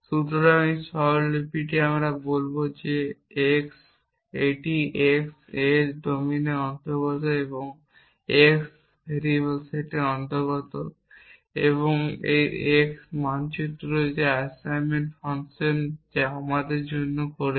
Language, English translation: Bengali, So, this notation we will use to say that this is x A belongs to domine and x belongs to the set of variables and this x maps that is the assignment function which is doing for us